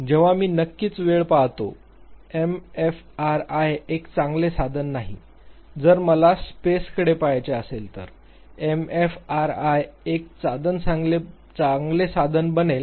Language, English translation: Marathi, When I look at the time of course, fMRI is not a good tool; if I have to look at the space fMRI become a good tool